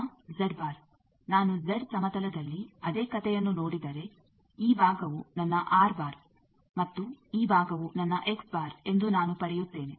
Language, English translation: Kannada, Now also Z, if I look the same story in the Z plane then I will get that this side will be my R bar and this side is my X bar